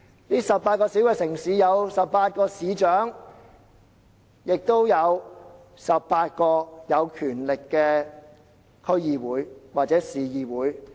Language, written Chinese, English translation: Cantonese, 這18個小城市設有18位市長，亦設有18個有權力的區議會或市議會。, Each of these 18 cities should have a mayor and a district council or city council vested with powers